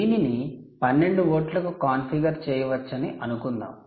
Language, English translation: Telugu, lets say, you can configure it to twelve volts, and so on and so forth